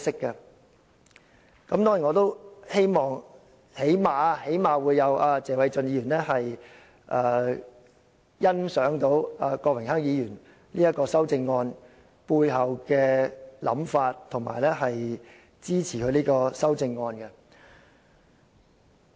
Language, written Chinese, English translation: Cantonese, 當然，最低限度謝偉俊議員能欣賞郭榮鏗議員這項修正案背後的想法，並支持他的修正案。, Of course at least Mr Paul TSE appreciates Mr Dennis KWOKs thinking behind this amendment and supports it